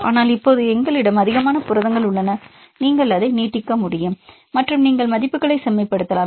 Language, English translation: Tamil, But now we have more number of proteins available, you can extend it and you can refined the values